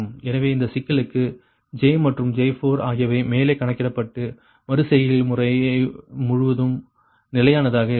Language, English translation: Tamil, so therefore, so for this problem, j and j four are computed above, assume constant throughout the iterative process